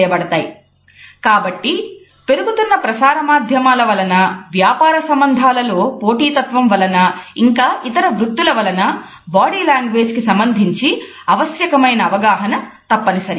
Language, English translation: Telugu, And therefore, we find that because of the growing presence of media, the growing competitiveness in the business world as well as in other professions a significant understanding of body language is must